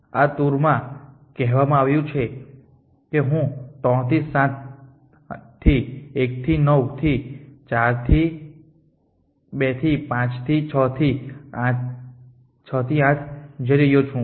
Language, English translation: Gujarati, This choice I that I am going from 3 to 7 to 1 to 9 to 4 to 2 to 5 to 6 to 8